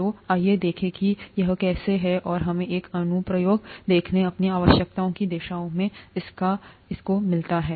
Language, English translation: Hindi, So let us see how that is and let us see an application of that towards our needs